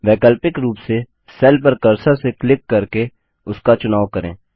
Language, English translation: Hindi, Alternately, select a cell by simply clicking on it with the cursor